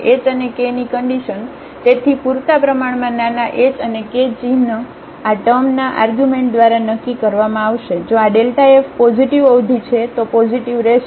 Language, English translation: Gujarati, So, therefore, sufficiently small h and k the sign will be determined by the sign of this term, if this is a positive term delta f will be positive